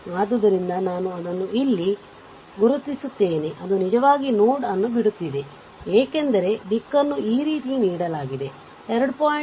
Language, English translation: Kannada, So, I mark it here that is actually leaving the node, because direction is this way it is given, right is equal to 2